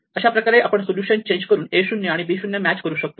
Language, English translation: Marathi, So, I can take that solution and change it to a solution where a 0 matches b 0